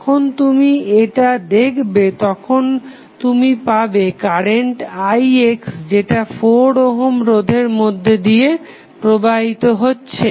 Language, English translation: Bengali, Ix is depending upon the current which is flowing through the 4 ohm resistance